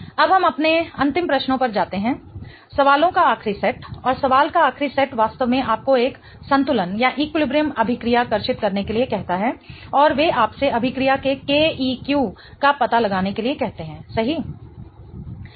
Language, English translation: Hindi, Now let us go to our last questions, last set of questions and the last set of question really ask you to draw an equilibrium reaction and they ask you to figure out the K EQ of the reaction, right